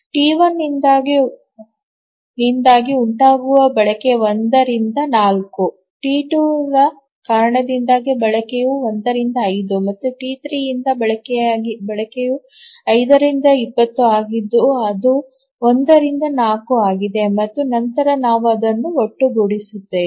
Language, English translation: Kannada, Utilization due to T2 is 1 by 5 and utilization due to T3 is 5 by 20 which is 1 by 4